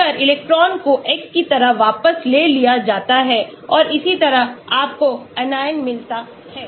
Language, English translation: Hindi, So, if the electron is withdrawn like X and so on you get the Anion